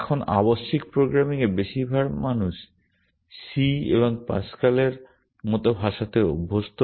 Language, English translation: Bengali, Now, in imperative programming which is what most people are used to languages like c and Pascal and so on